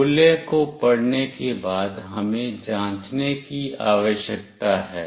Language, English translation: Hindi, After reading the values, we need to check